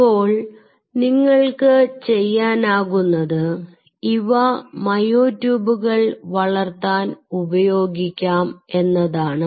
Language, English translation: Malayalam, ok, now what you can do is you can use these to grow myotubes